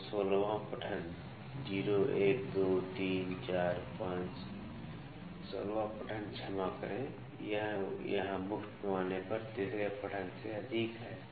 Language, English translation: Hindi, So, the 16th reading 0, 1, 2, 3, 4, 5, 16th reading sorry it is exceeding third reading here on the main scale